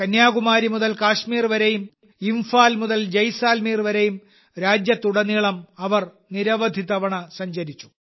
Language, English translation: Malayalam, She travelled across the country several times, from Kanyakumari to Kashmir and from Imphal to Jaisalmer, so that she could interview writers and poets from different states